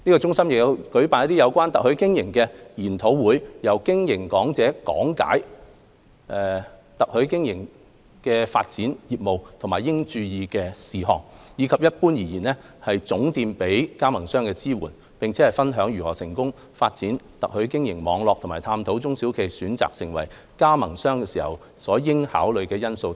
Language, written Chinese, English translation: Cantonese, 中心亦有舉辦有關特許經營的研討會，由嘉賓講者講解透過特許經營發展業務時應注意的事項，以及一般而言總店給予加盟商的支援，並分享如何成功發展特許經營網絡和探討中小企業選擇成為加盟商時應考慮的因素等。, SUCCESS have also organized seminars on franchising with speakers highlighting points to note when expanding business through franchising the general support provided to franchisees as well as sharing their experience in developing a successful franchise network and exploring important factors for SMEs to consider when choosing to become a franchisee etc